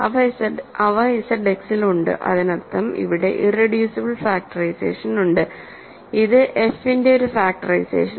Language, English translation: Malayalam, So, they are in Z X that means, here is an irreducible factorization here is a factorization of f